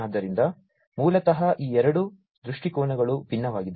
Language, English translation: Kannada, So, basically these two perspectives are different